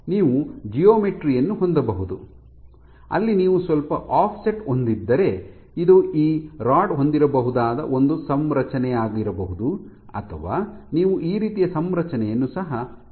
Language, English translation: Kannada, You can have a geometry where if you have slightly offset this might be one configuration in which this rod might have or you can have a configuration like this as well ok